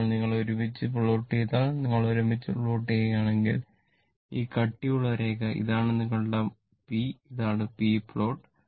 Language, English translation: Malayalam, Now, when you plot together, if you plot together, this thick line, this thick line, this one is your p right, this is the p plot